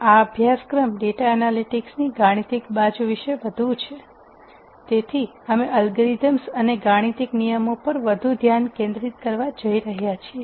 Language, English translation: Gujarati, This course is more about the mathematical side of the data analytics, so, we are going to focus more on the algorithms and what are the fundamental ideas that underlie these algorithms